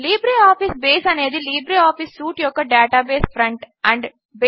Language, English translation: Telugu, LibreOffice Base is the database front end of the LibreOffice suite